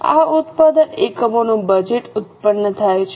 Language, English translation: Gujarati, This is how production units budget is produced